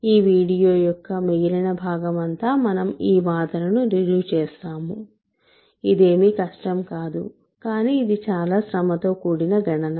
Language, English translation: Telugu, The remaining part of this video will be proving this claim which is which is not difficult, but it is a tedious calculation